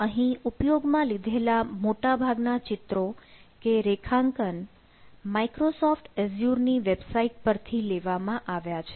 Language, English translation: Gujarati, and this picture we have taken again most of the things we have taken from microsoft azure website